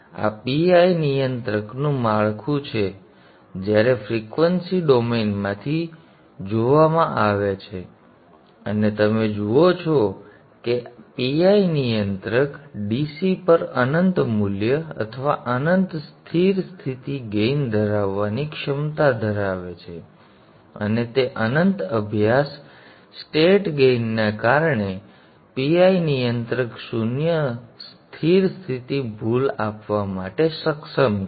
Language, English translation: Gujarati, So this is the structure of the PI controller when viewed from the frequency domain and you see that the PI controller has potential to have infinite value at DC or infinite steady state gain and because of their infinite steady state gain the PI controller is capable of giving zero steady state error you could add a D much higher to improve the transient response but most of the time it is not needed